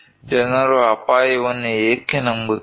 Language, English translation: Kannada, Why people are not believing risk